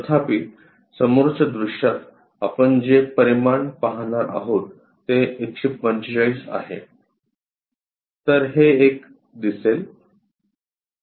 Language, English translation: Marathi, However, in the front view the dimensions what we are going to see is 145; so, this one will be visible